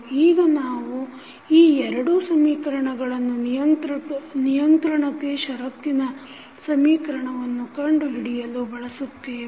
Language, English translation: Kannada, Now, we will use these two equations to find out the controllability condition